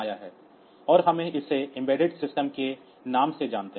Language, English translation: Hindi, So, that these are the examples of embedded system